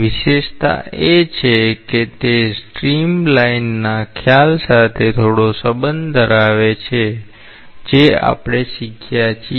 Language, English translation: Gujarati, The speciality is that it has some relationship with the concept of stream line that we have learnt